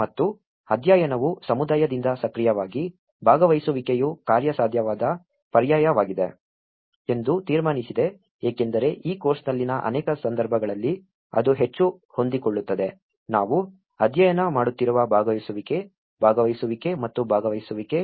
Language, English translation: Kannada, And the study concludes that active participation from the community is a viable alternative because that is more flexible in many of the cases in this course what we are studying is a participation, participation and participation